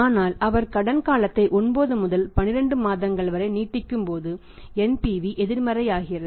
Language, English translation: Tamil, It means he cannot sell for a period of 12 months on credit because at this period NPV becomes negative